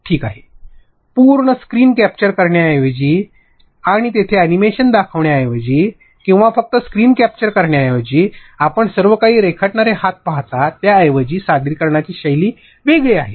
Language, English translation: Marathi, Instead of capturing the entire screen and showing an animation over there or just screen capture, instead of that you see a hand sketching everything, the presentation style differs